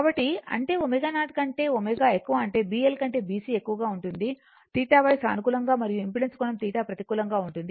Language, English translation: Telugu, So; that means, at omega greater than omega 0 B C greater than B L that is theta Y that is positive right and angle of impedance theta will be negative